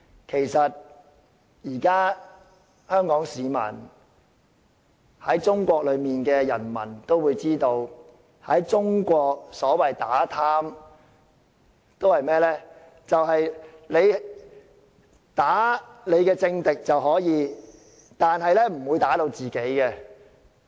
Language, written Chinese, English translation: Cantonese, 其實，香港市民以至在中國的人民都知道，中國所謂打貪只可以打擊政敵，不會打擊自己人。, In fact Hong Kong people or even the people of China know very well that anti - corruption campaigns in China are only meant to target political enemies and never friends